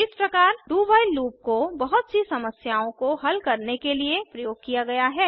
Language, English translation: Hindi, This way, a do while loop is used for solving a range of problems